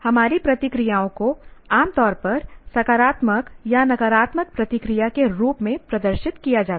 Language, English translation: Hindi, Our reactions are usually displayed in the form of either positive or negative reaction